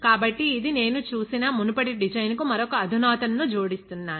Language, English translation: Telugu, So, this is I am adding one sophistication on to another of the previous design that we saw